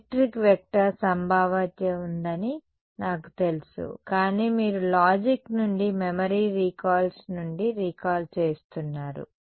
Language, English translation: Telugu, I know there is a electric vector potential, but you are recalling from memory recalls from logic